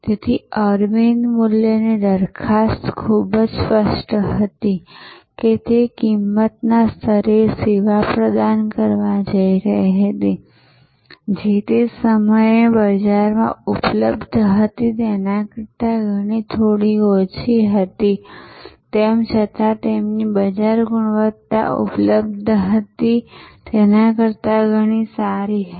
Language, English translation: Gujarati, So, Aravind value proposition was very clear that it was going to provide service at a price level, which was at that point of time way lower than what was available in the market, yet their quality was in many ways superior to what was available in the market